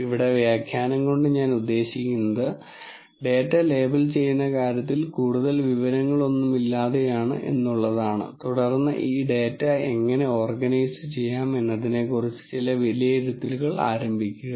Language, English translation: Malayalam, What I mean by annotation here is without any more information in terms of labelling of the data and then start making some judgments about how this data might be organized